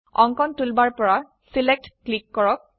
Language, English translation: Assamese, Then, from the Drawing toolbar click Select